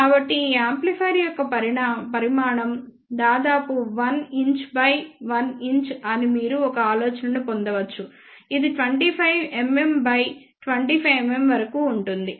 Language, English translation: Telugu, So, you can get an idea that size of this amplifier is of the order of 1 inch by 1 inch which is about 25 mm by 25 mm